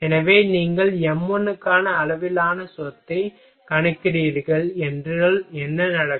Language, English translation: Tamil, So, and if you are you are calculating scale property for m 1 then what will happen